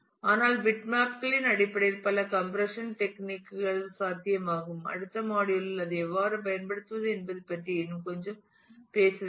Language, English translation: Tamil, But several compression techniques are possible in terms of bitmaps; in the next module I will talk little bit more about how to use that